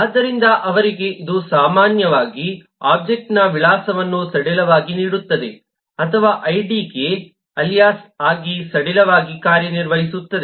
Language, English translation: Kannada, so for them it’s typically the address of the object gives loosely or works loosely as an alias for the id